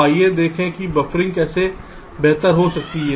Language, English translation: Hindi, so lets see how buffering can improve, improve